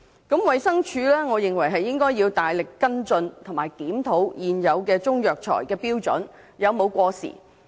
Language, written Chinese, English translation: Cantonese, 我認為衞生署應該大力跟進和檢討現有的中藥材標準有否過時。, In my opinion the Department of Health should make vigorous efforts to review the existing standards on Chinese herbal medicines to see whether they are up - to - date